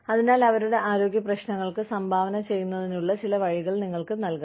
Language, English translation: Malayalam, So, you could give them, some way of contributing to their health issues